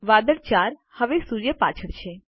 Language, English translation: Gujarati, Cloud 4 is now behind the sun